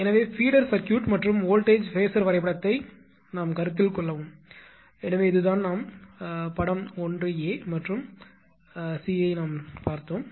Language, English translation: Tamil, So, consider the feeder circuit and voltage feeder diagram and so, this is this this we have seen figure 1 a and c right